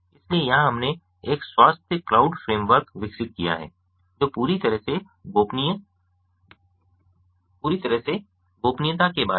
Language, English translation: Hindi, so here we have developed a health card framework which is totally privacy aware